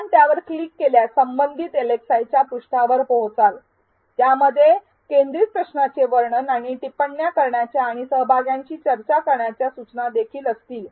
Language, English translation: Marathi, If you click on it, you will reach the page for the respective LxI which will also have the description of the focused question and instructions for posting the comments and instructions for peer discussion